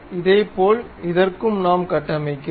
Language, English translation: Tamil, In the similar way we construct for this one also